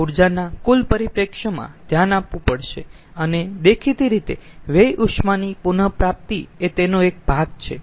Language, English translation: Gujarati, the total perspective of energy has to be looked into and obviously waste heat recovery is a part of it